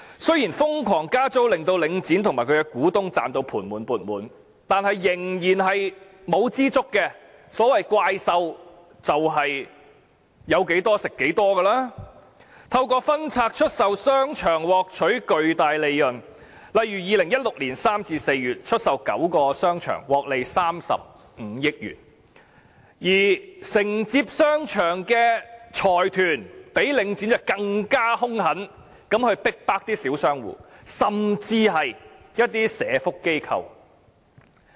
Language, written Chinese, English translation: Cantonese, 雖然瘋狂加租令領展和其股東"賺到盤滿缽滿"，但他們仍不知足，所謂怪獸便是有多少吃多少，他們透過分拆出售商場獲取巨大利潤，例如2016年3月至4月出售9個商場，獲利35億元，而承接商場的財團較領展更兇狠地逼迫小商戶，甚至是社會福利機構。, Monsters so to speak simply eat up as much as is available . They have reaped huge profits from divesting the shopping arcades . For instance the sale of nine shopping arcades from March to April in 2016 has generated a profit of 3.5 billion and the consortiums taking over the shopping arcades have oppressed the small shop tenants and even social welfare organizations way more ruthlessly